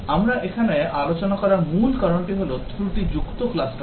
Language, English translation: Bengali, The main reason here as we are discussing is defect clustering